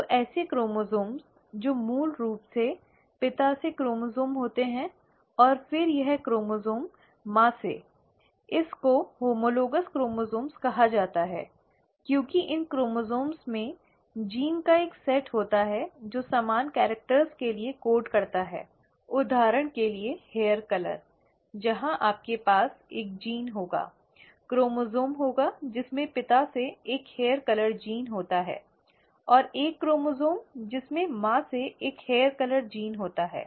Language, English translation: Hindi, So such chromosomes, which are basically this chromosome from father, and then this chromosome from the mother is called as the homologous chromosomes, because these chromosomes contain a set of genes which code for similar characters, say for example hair colour, where you will have a gene, having a chromosome having a hair colour gene from father, and a chromosome having a hair colour gene from the mother